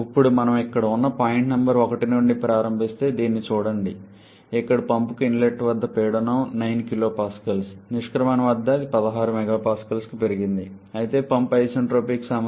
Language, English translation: Telugu, Now look at this if we start from point number 1 which is here, here at the inlet to the pump the pressure is 9 kPa, at the exit it is it has been increased to 16 MPa, but the pump has an isentropic efficiency of 0